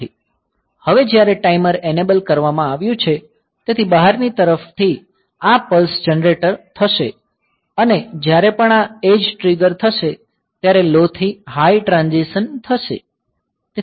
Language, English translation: Gujarati, Whereas, now the timer has been enabled; so, from the outside world this pulses will be generated and whenever this edge triggering will occur low to high transition will occur